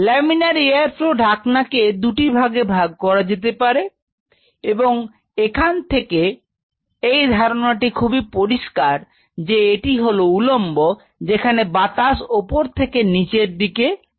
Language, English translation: Bengali, But in nutshell laminar flow hood could be classified into 2 categories the take home message is very clear, one is the vertical where they air is moving from the top to bottom and the air flow it is exactly like an air curtain